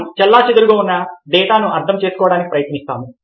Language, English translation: Telugu, we try to make sense of the data which is scattered